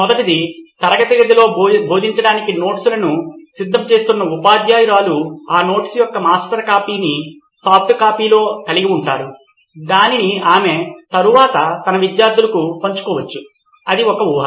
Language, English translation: Telugu, First one would be teachers who is actually preparing her notes to teach in the class has a master copy of that notes in a soft copy, which she can be sharing it to her students later, that would be assumption one